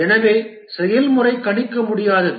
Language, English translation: Tamil, Therefore, the process is unpredictable